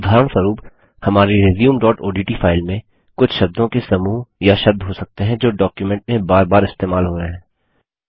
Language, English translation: Hindi, For example, in our resume.odt file, there might be a few set of words or word which are used repeatedly in the document